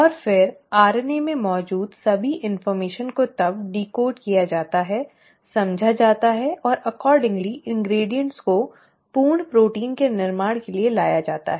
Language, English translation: Hindi, And then, all the information which is present in the RNA is then decoded, is understood and accordingly the ingredients are brought in for the formation of a complete protein